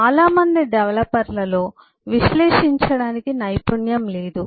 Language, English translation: Telugu, the skill does not exist with most of the developers to analyze them